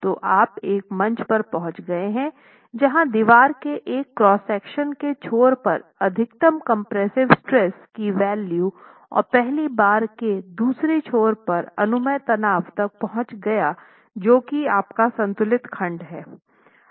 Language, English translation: Hindi, So, you've reached a stage where one end of the wall cross section is in the maximum value of compressive stress permissible and the other end the first bar has actually reached the permissible stress in tension